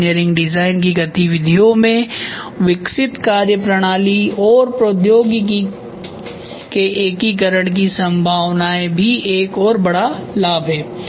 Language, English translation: Hindi, Potential for integration of the developed methodology and technology into the engineering design activities is one of the another big benefit